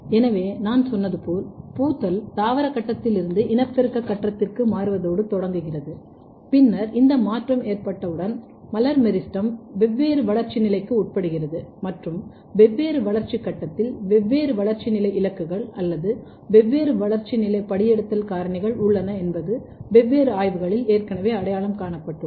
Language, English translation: Tamil, So, as I said that, the flowering starts from the transition from the vegetative phase to reproductive phase and then once this transition has occurred, the floral primordia under are the floral meristem undergoes the different developmental stage and targets of different developmental stage or transcription factors at different developmental stage has been already identified in different studies